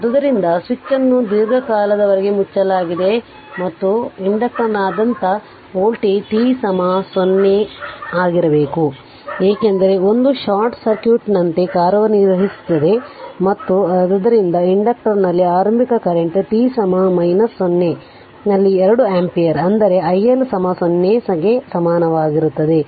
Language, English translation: Kannada, So, the switch has been closed for a long time and hence the voltage across the inductor must be 0 at t is equal to 0 minus, because it will act as a short circuit it will act as a short circuit right and therefore the initially current in the inductor is 2 ampere at t is equal to minus 0 that is i L 0 is equal